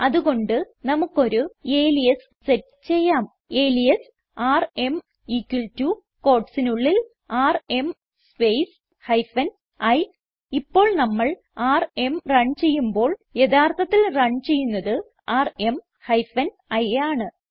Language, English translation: Malayalam, So we may set an alias like, alias rm equal to, now within quotes rm space hyphen i Now when we run rm , rm hyphen iwill actually be run